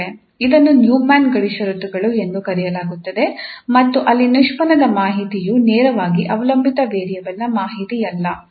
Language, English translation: Kannada, So this is the so called Neumann boundary conditions, where the derivative information is not the directly, not directly the information of the dependent variable